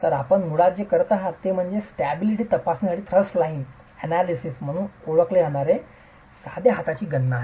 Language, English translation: Marathi, So, what we are basically doing is a simple hand calculation referred to as thrust line analysis for stability check